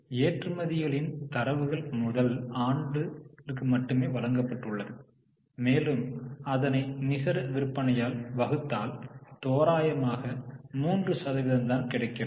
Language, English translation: Tamil, So, exports are given only for first two years and we will divide it by their net sales which comes to about 3%